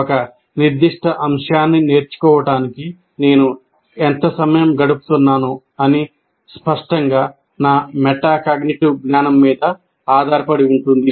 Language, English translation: Telugu, So the amount of time I spend on in learning a particular topic will obviously depend on my metacognitive knowledge